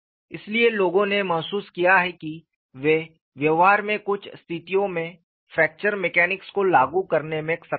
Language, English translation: Hindi, So, people felt that they are able to apply fracture mechanics to certain situations in practice;